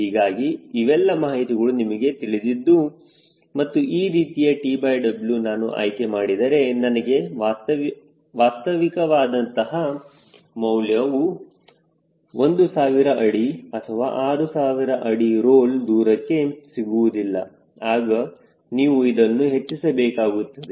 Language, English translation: Kannada, and if you find, doing this, ah, this type of t by w i have selected i am not able to really getting a realistic number for thousand feet or six thousand feet land role distance then you can increase this